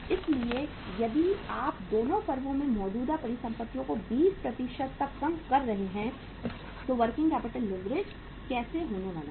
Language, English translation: Hindi, So if you are reducing the current assets in both the firms by 20% how the working capital leverage is going to be there